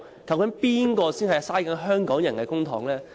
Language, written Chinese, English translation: Cantonese, 究竟是誰在浪費香港人的公帑呢？, So who are wasting public money belonged to the Hong Kong people?